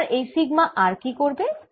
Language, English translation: Bengali, now, what'll this sigma r do